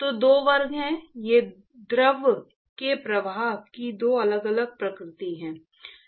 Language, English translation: Hindi, So, there are two classes, these are the two different nature of flow of a fluid